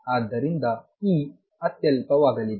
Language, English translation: Kannada, So, E is going to be insignificant